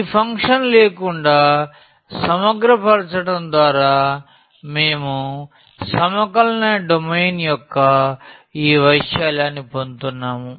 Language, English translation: Telugu, And, just integrating without this function we were getting the area of the domain of integrations